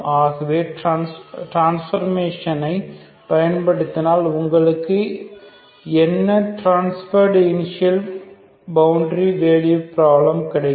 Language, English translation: Tamil, So if you use this transformation what you get is the transformed initial boundary value problem, okay